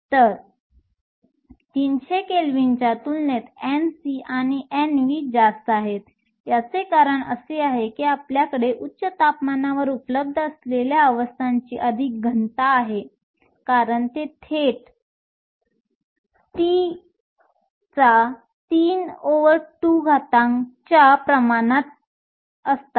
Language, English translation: Marathi, So, compared to 300 Kelvin N c and N v are higher, this is because we have more density of states available at higher temperature, simply because they are directly proportional to T to the 3 over 2